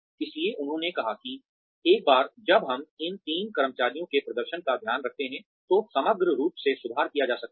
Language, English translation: Hindi, So, they said that, once we take care of these three the employee performance, overall can be improved